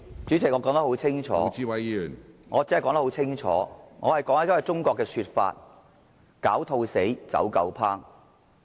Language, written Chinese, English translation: Cantonese, 主席，我說得很清楚，我只是在引述一句中國的成語："狡兔死，走狗烹"。, President I have made myself clear . I have merely quoted a Chinese proverb which reads after the hares are killed the running dogs will be cooked